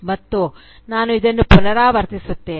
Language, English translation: Kannada, And, let me repeat this